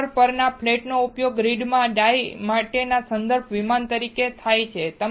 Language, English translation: Gujarati, A flat on the wafer is used as a reference plane from the grid for the die